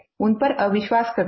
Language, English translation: Hindi, We don't trust them